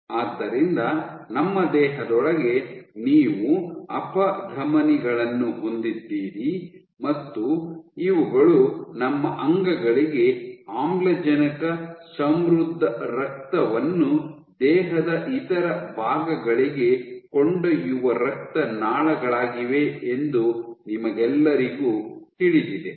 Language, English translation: Kannada, So, all of you know that you have Arteries within our body and these are blood vessels that carry oxygen rich blood to our organs to other parts of the body